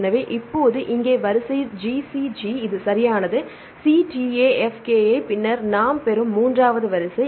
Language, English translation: Tamil, So, now, here the sequence is GCG, this is same right C TA F KI, then the third sequence we get one is